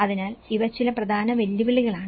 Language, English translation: Malayalam, So, these are some major challenges